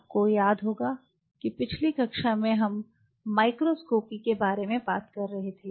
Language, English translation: Hindi, So, in the last class if you recollect we were talking about the microscopy